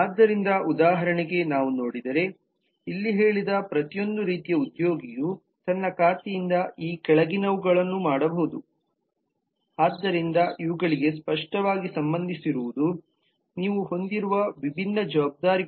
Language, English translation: Kannada, so if we look at, for example, here say every employee of every kind can do the following from his or her account so that clearly relates to these are the different responsibilities that you have